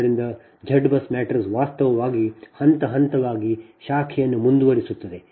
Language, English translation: Kannada, so z bus matrix actually just step by step procedure which proceeds branch by branch, right